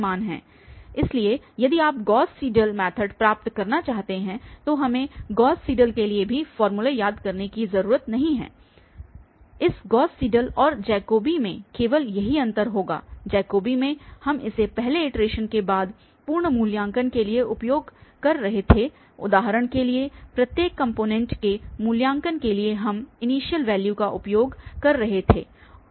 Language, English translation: Hindi, So, If you want to get for the Gauss Seidel method, the only difference again we do not have to remember the formula for the Gauss Seidel also, the only difference on this Gauss Seidel and Jacobi would be, in Jacobi we were using for the complete evaluation after this first iteration for instance in each for the evaluation of each component we were using the initial values